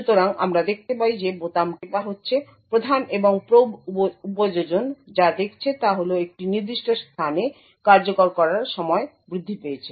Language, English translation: Bengali, So, we see that as keys are being pressed what the prime and probe application sees is that there is an increase in execution time during a particular place